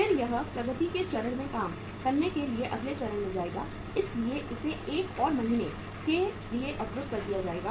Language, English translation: Hindi, Then it will move to the next stage to work in progress stage so it will be blocked for 1 more month